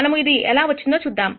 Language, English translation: Telugu, Let us see how this comes about